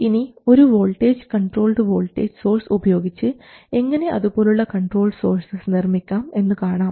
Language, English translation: Malayalam, We have seen how to make a voltage controlled voltage source as well as a current controlled voltage source